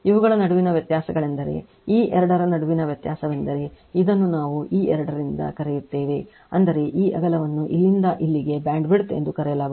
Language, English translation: Kannada, The difference between these this one this difference between this two that is your what we call this from this two I mean this this width from here to here it is called your bandwidth right